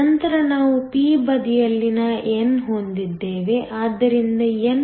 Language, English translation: Kannada, Then we had n on the p side so, npo